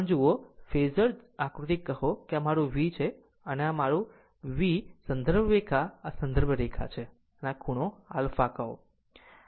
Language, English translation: Gujarati, So, if you look into this phasor diagram say say this is my this is my V this is my V and this is my this is my reference line this is my reference line and this angle is alpha say